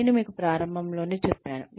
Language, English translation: Telugu, I told you right in the beginning